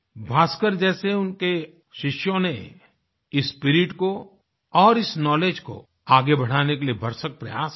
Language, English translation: Hindi, His disciples like Bhaskara, strived hard to further this spirit of inquiry and knowledge